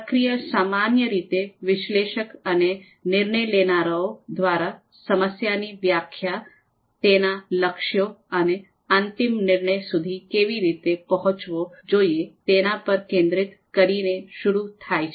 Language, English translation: Gujarati, So the process generally starts with the with the analyst and DMs focusing on defining the problem, their goals and how the final decision should be reached